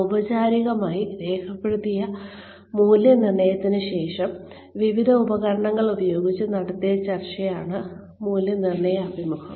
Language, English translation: Malayalam, An appraisal interview is the discussion, after the formal recorded appraisal, by using various instruments, has been done